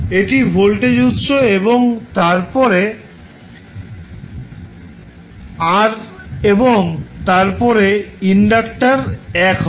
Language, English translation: Bengali, That would be the voltage source and then r and then inductor l